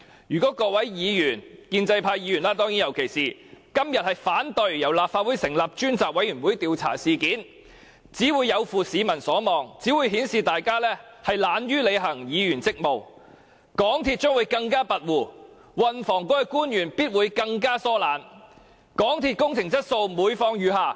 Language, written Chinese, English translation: Cantonese, 如果各位議員，尤其是建制派議員，今天反對由立法會成立專責委員會調查事件，只會有負市民所望，只會顯示大家懶於履行議員職務，港鐵公司將會更加跋扈，運輸及房屋局的官員必會更加疏懶，港鐵公司的工程質素必會每況愈下。, Should Members particularly pro - establishment Members oppose todays motion that a select committee be set up by the Legislative Council to inquire into the incident they will simply fail to live up to public expectations and show that they are slack about performing their duties as Members; MTRCL will become more overbearing; officials of the Transport and Housing Bureau will definitely become more indolent; and the quality of MTRCLs construction projects will certainly deteriorate